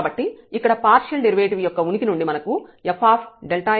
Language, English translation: Telugu, So, first the existence of partial derivatives; so, we know the definition of f x at 0 0